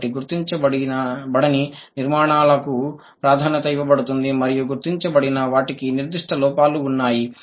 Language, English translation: Telugu, So, the unmarked or the, yeah, the unmarked structures are given preference and the marked ones have certain errors